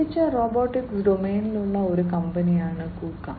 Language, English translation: Malayalam, KUKA is a company, which is into the connected robotics domain